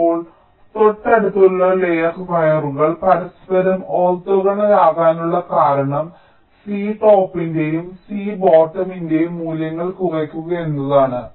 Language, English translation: Malayalam, the reason why adjacent layer wires are orthogonal to each other is to reduce the values of c top and c bottom